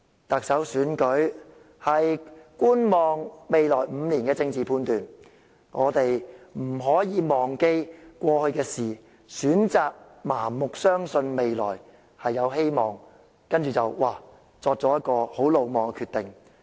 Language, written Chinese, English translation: Cantonese, 特首選舉是觀望未來5年的政治判斷，我們不可以忘記過去的事，選擇盲目相信未來有希望，然後作出很魯莽的決定。, The Chief Executive Election is a political judgment about the prospect of the next five years . We cannot forget what happened in the past and choose to blindly believe there are hopes in the future and then make very reckless decisions